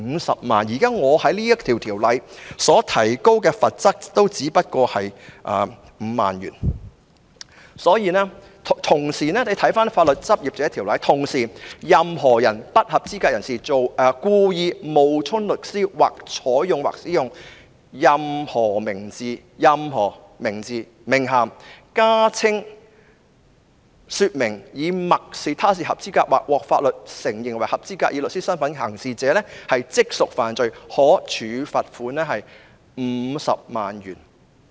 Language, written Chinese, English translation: Cantonese, 大家可以參看《法律執業者條例》，當中規定"任何不合資格人士故意冒充律師，或採用或使用任何名字、名銜、加稱或說明以默示他是合資格或獲法律承認為合資格以律師身分行事者，即屬犯罪......可處罰款 $500,000。, Members may refer to the Legal Practitioners Ordinance which states that any unqualified person who wilfully pretends to be or takes or uses any name title addition or description implying that he is qualified or recognized by law as qualified to act as a solicitor shall be guilty of an offence and shall be liable a fine of 500,000